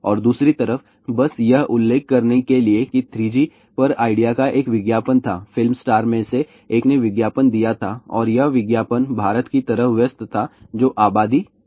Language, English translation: Hindi, And on the lighter side, just to mention that there was a one advertisement of idea on 3G ah, one of the movie star had advertise that and the advertisement was like India busy busy no apathy